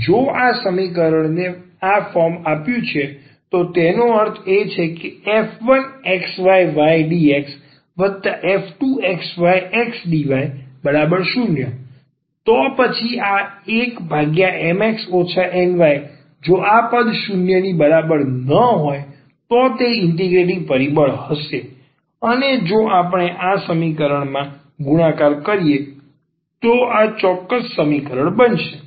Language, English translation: Gujarati, If this equation is given off this form means the sum function xy and y dx; another function x dy, then this 1 over Mx minus Ny if this term is not equal to 0 will be an integrating factor and if we multiply this to this equation this equation will become exact